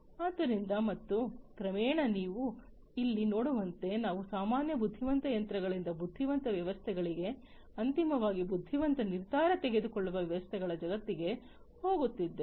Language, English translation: Kannada, So, and gradually as you can see over here we are moving to the world from regular intelligent machines to intelligent systems to ultimately intelligent decision making systems